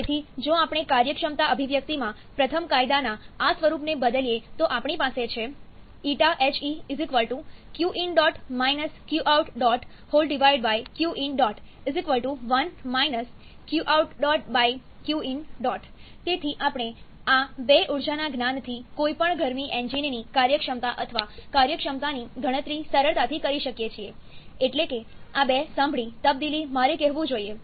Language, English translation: Gujarati, So, if we replace this form of first law in the efficiency expression then we have Q dot in – Q dot out coming in the numerator divided by Q dot in = 1 – Q dot out/Q dot in, so we can easily calculate the efficiency or work output of any heat engine just from the knowledge of these 2 energies that is these 2 hear transfer I should say